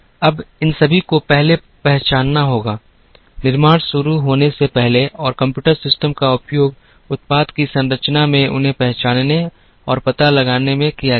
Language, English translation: Hindi, Now, all these will first have to be identified, before the manufacturing begins and computer systems were used in identifying and locating them in the structure of the product